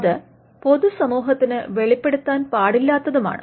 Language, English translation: Malayalam, It should not be disclosed to the public